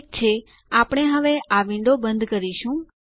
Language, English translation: Gujarati, Okay, we will close this window now